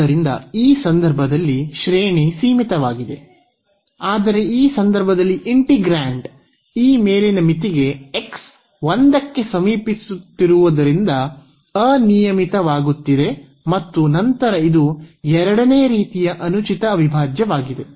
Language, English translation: Kannada, So, in this case the integrand is becoming unbounded as x approaching to this upper limit a and then this is the improper integral of a second kind